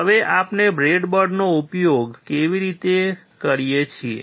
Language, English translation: Gujarati, Now we use the breadboard